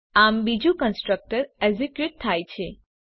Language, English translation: Gujarati, So the second constructor gets executed